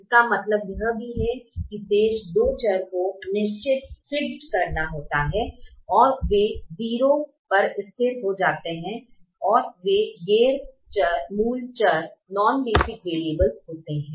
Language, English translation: Hindi, it also means that the remaining two variables have to be fixed, and they are fixed to zero